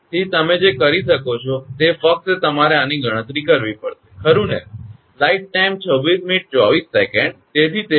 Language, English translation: Gujarati, So, what you can do is, just you have to compute this right